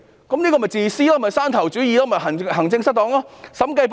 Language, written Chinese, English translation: Cantonese, 這便是自私的做法、山頭主義及行政失當。, That is a selfish approach and there is a problem of fiefdom and maladministration